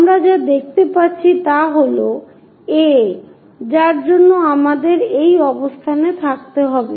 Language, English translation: Bengali, What we can see is A, we will be in a position to see